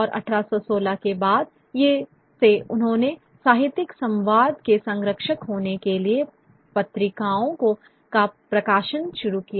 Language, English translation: Hindi, And 1860 onwards they started publishing journals to sort of be guardians of literary tastes